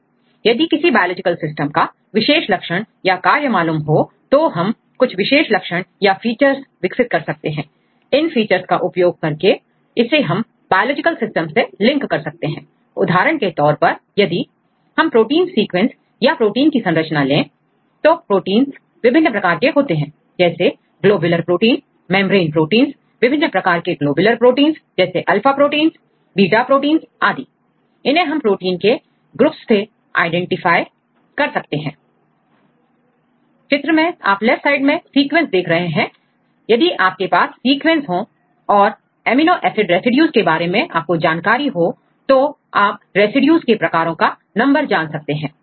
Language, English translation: Hindi, So, here we try to develop some features right and using these features you can link the function of any biological system right for example, if you take protein sequences or protein structures there are different types proteins say for example, if you get a protein structures globular proteins, membrane proteins and different types of globular proteins say alpha proteins beta proteins and so on and whether we can identify these types of proteins from a pool of sequences right